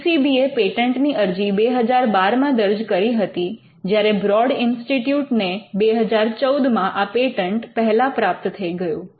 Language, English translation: Gujarati, UCB had filed a patent in 2012 and the Broad Institute was the first to win the patent in 2014